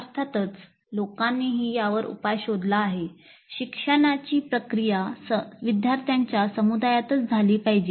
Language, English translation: Marathi, Because people have proposed a solution to this also that learning process should occur within a community of learners